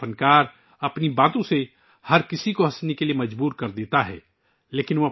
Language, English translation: Urdu, A comedian, with his words, compelles everyone to laugh